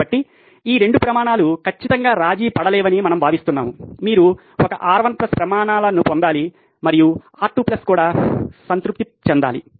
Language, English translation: Telugu, So, this is how we think that this 2 criteria are absolutely uncompromisable that you should get criteria one R1 plus has to be satisfied and R2 plus also has to be satisfied